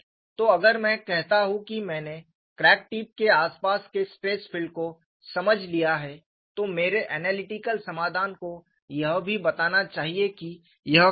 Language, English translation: Hindi, So, if I say that I have understood the stress field in the vicinity of the crack tip, my analytical solution should also explain, what is this